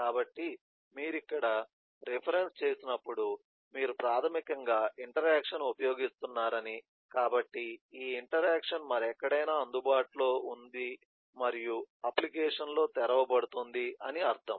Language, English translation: Telugu, when you say reference here, eh basically mean that the interaction is being used, so this interaction is available elsewhere and can be opened in the application